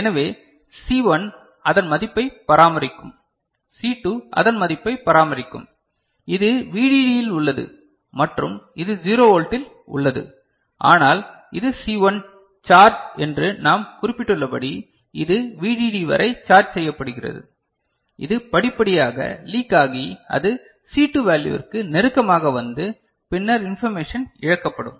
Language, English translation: Tamil, So, C1 will maintain its value, C2 will maintain its value, this is at VDD and this is at 0 Volt but as we have noted that it is C1 charge which is which is charged up to VDD it will gradually leak and it will come closer to the C2 value then the information will be lost